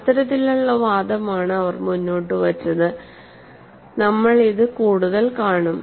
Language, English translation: Malayalam, And this is the kind of argument they had put forth and we would see for that